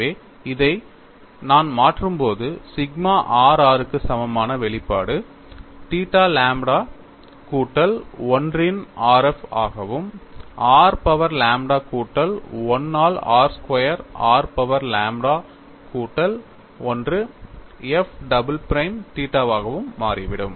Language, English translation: Tamil, We can also get the shear stress tow r theta, that is given as minus dow by dow r of 1 by r dow phi by dow theta, that is equal to minus lambda by r squared r power lambda plus 1 f prime theta